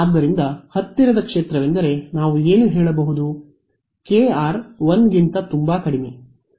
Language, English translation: Kannada, So, if the near field what we can say is that, k r is much much less than 1